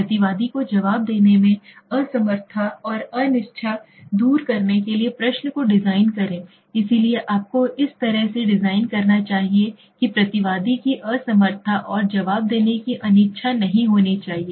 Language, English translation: Hindi, Design the question to overcome the respondent s inability and unwillingness to answer, so you should be designing in a way that the respondent s inability and unwillingness to answer should be not be there right